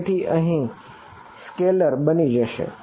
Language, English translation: Gujarati, So, it is going to be a scalar over here